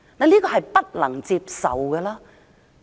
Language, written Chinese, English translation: Cantonese, 這是不能接受的。, This is unacceptable